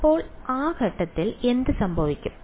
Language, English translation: Malayalam, So, at those points what will happen